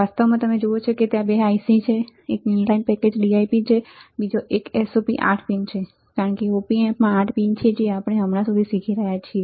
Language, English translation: Gujarati, In fact, you see that there are 2 ICs one is dual in line package DIP, another one is a SOP is 8 pin, because the op amp has the 8 pin that we are learning until now right